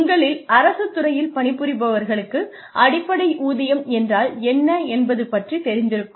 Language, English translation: Tamil, Those of you, who work in the government sector, will know, the concept of basic pay